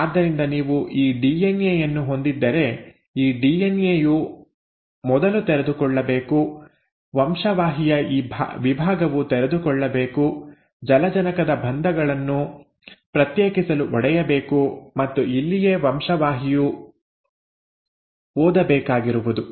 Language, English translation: Kannada, So let us see, if you were to have this DNA, okay, this DNA has to first uncoil, this segment of the gene has to uncoil, the hydrogen bonds have to be broken to set apart and this is where the gene has to read